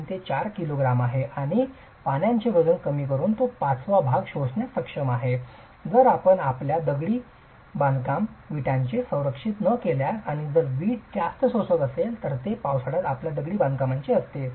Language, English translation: Marathi, 5 to 4 kgs and is capable of absorbing 1 5th by that weight of water if you don't protect your brick masonry and if the brick is highly absorptive, it is during rainy seasons your masonry walls are going to soak up water